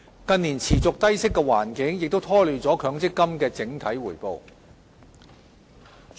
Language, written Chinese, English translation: Cantonese, 近年持續的低息環境亦拖累了強積金的整體回報。, The persistently low interest rate environment in recent years has also dampened the overall MPF return